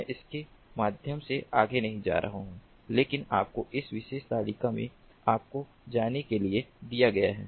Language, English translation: Hindi, i am not going to go through them ah further, but it is given to you in this particular table for you to go through